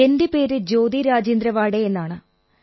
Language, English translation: Malayalam, My name is Jyoti Rajendra Waade